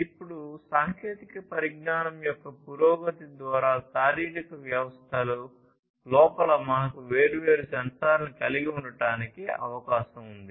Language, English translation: Telugu, Now, it is possible that through the advancement in technology, it is possible that we can have different, different sensors inside the physiological systems